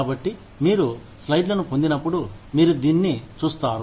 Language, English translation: Telugu, So, when you get the slides, you will see this